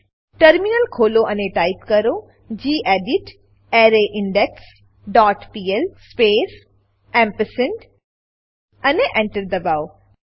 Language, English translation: Gujarati, Open the terminal and type gedit arrayIndex dot pl space ampersand and press Enter